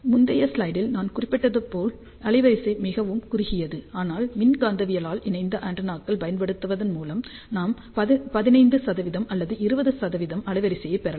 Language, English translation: Tamil, As I mentioned in the previous slide the bandwidth was very narrow, but by using electromagnetically coupled antennas we can get bandwidth of 15 percent or even 20 percent